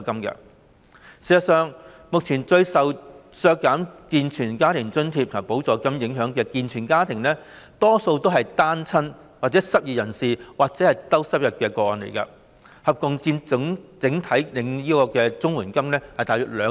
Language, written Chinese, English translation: Cantonese, 事實上，目前最受削減健全家庭津貼和補助金影響的健全家庭，大多數也是單親、失業人士或低收入的個案，合共佔整體綜援個案約兩成。, In fact at present the families consisting of able - bodied members most affected by the cut in grants and supplements are mostly cases involving single - parents unemployed people or low - income people and together they account for about 20 % of all CSSA cases